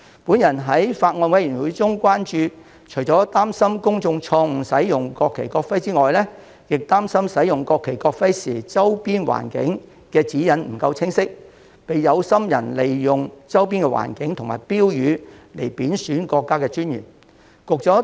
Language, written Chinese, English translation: Cantonese, 我曾在法案委員會會議上提出關注，表示除擔心公眾錯誤使用國旗、國徽之外，亦擔心使用國旗、國徽時的周邊環境指引不夠清晰，被有心人利用周邊環境和其他標語貶損國家尊嚴。, I have expressed concern at meetings of the Bills Committee that apart from incorrect use of the national flag and national emblem by members of the public it was also my worry that as the guidelines on the surrounding environment for using the national flag and national emblem were unclear people with ulterior motives might take advantage of the surrounding environment to undermine the national dignity with the use of some other slogans